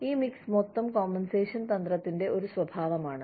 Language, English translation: Malayalam, This mix is a characteristic, of the total compensation strategy